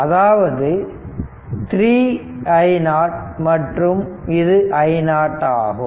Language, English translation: Tamil, So, i x will be is equal to 3